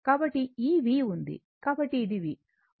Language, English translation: Telugu, So, this V is there, so this is my V